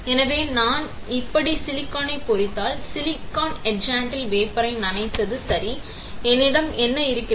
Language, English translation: Tamil, So, if I etch silicon like this, all right by dipping the wafer in silicon etchant; what I have